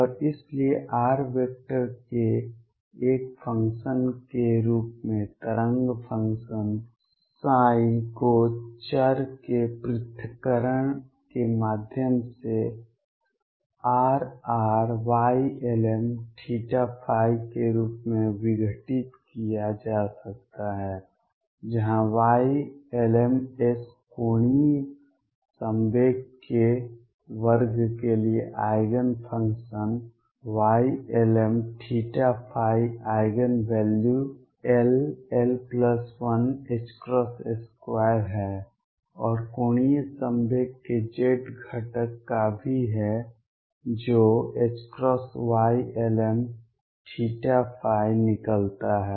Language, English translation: Hindi, And therefore, the wave function psi as a function of r vector can be decomposed through separation of variables as R r y lm theta and phi where Y l ms are the Eigen functions for the square of the angular momentum, y lm theta phi Eigen value being l l plus 1 h cross square and also of the z component of the angular momentum which comes out to be m h cross y lm theta phi